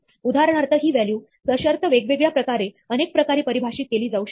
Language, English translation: Marathi, For instance, this value could be defined in different ways, multiple ways, in conditional ways